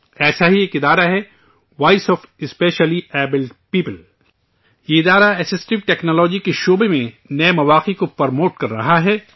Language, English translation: Urdu, There is one such organization Voice of Specially Abled People, this organization is promoting new opportunities in the field of assistive technology